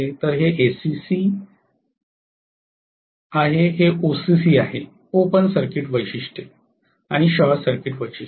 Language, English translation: Marathi, So this is SCC, this is OCC, open circuit characteristics and short circuit characteristics